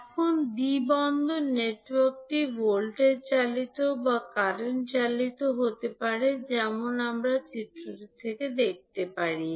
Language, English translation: Bengali, Now, the two port network may be voltage driven or current driven as we have we can see from the figure